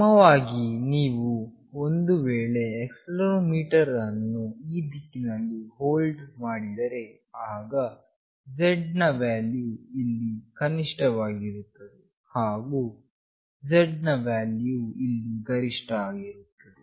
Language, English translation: Kannada, Similarly, if you hold the accelerometer in this direction, then the Z value will be minimum here, and the Z value will be maximum here